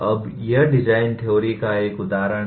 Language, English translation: Hindi, Now, this is one example of design theory